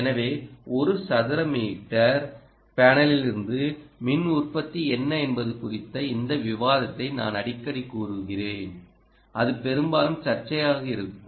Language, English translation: Tamil, so i would say this discussion on what is the power output from a one centimeter square ah panel is often going to be dispute